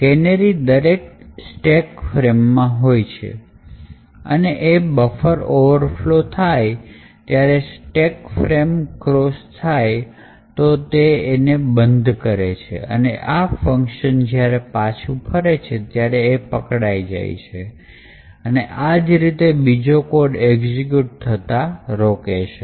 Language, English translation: Gujarati, The canaries present in each stack frame would detect that a buffer is overflowing and crossing that particular stack frame, and this would be caught during the function return and the subversion of the execution is prevented